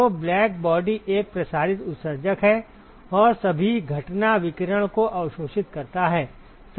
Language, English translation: Hindi, So, blackbody is a diffuse emitter and absorbs all incident radiation